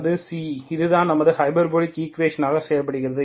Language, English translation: Tamil, Okay that is C, that is our hyperbolic equation behaves